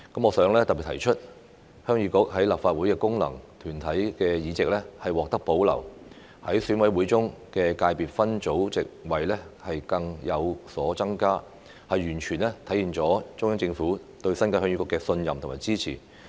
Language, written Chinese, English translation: Cantonese, 我想特別提出，鄉議局在立法會的功能界別議席獲得保留，在選委會中的界別分組席位更有所增加，完全體現了中央政府對鄉議局的信任和支持。, In particular I would like to point out that Heung Yee Kuk has retained its functional constituency seat in the Legislative Council while its seats in the EC subsector have increased which fully manifests the Central Governments trust and support for Heung Yee Kuk